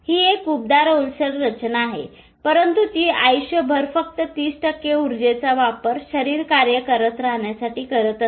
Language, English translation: Marathi, It uses energy, it is a warm, moist structure but it uses 30% of the energy of the body to keep functioning all its life